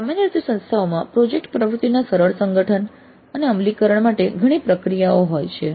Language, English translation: Gujarati, And usually the institutes have several processes for smooth organization and implementation of project activity